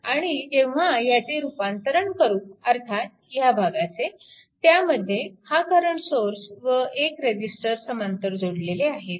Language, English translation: Marathi, And when you convert this one, I mean this portion, when you convert this one, your this current source and one resistor is there in parallel